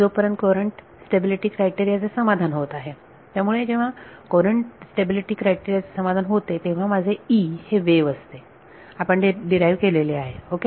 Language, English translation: Marathi, As long as the courant stability criteria is satisfied; so, when courant stability is satisfied my E will be a wave; we derived that ok